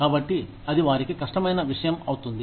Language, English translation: Telugu, So, it becomes a difficult thing for them